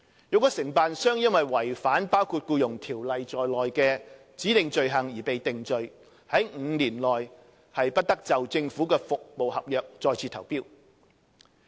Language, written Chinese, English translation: Cantonese, 若承辦商因違反包括《僱傭條例》在內的指定罪行而被定罪 ，5 年內將不得就政府服務合約再次投標。, If a contractor is convicted of committing specified offences including contravention of the Employment Ordinance he will be prohibited from submitting tenders for government service contracts for a period of five years